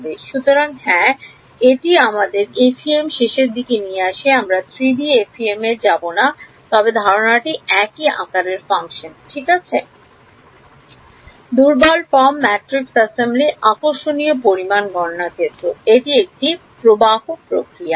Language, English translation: Bengali, So, yeah so, that brings us to an end of the FEM we will not go to 3D FEM, but the idea is same right shape functions, weak form, matrix assembly, calculating the quantity of interesting this is a process flow